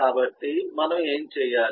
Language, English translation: Telugu, so we will had to